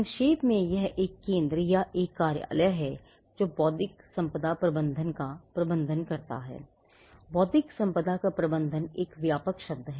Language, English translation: Hindi, Now, in short it is a centre or an office that manages intellectual property management itself, management of intellectual property is a broad term